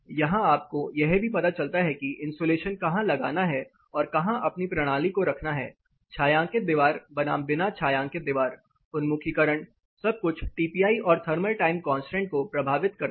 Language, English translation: Hindi, Here you also get where to put your insulation and how to place your system, shaded wall versus unshaded walls orientation everything affects both TPI as well as thermal time constant